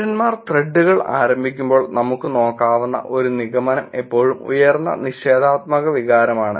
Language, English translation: Malayalam, As a one conclusion that we can look at is when citizens initiated threads there is always higher negative sentiment